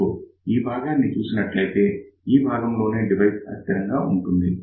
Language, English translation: Telugu, So, if you see this particular portion, this is the portion where the device is unstable